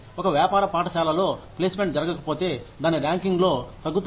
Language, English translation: Telugu, For a business school, if placement does not happen, your rankings go down